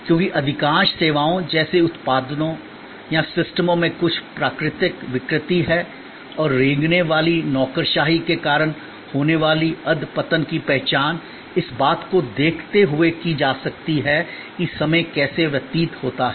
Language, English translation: Hindi, Because, most services like products or like systems have some natural degeneration and that degeneration due to creeping bureaucracy can be identified by looking at, how time is spent